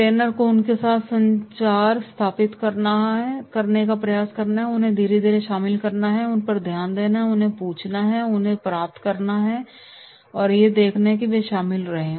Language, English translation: Hindi, Trainer should attempt to establish communication with them, get them involved slowly and slowly, showing attention to them, asking them and then getting them that is they are getting involved